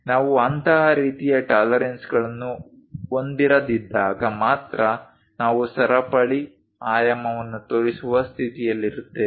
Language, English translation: Kannada, When we do not have such kind of tolerances then only, we will be in a position to show chain dimensioning